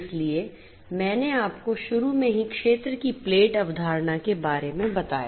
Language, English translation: Hindi, So, I told you about the field to plate concept at the outset I explained it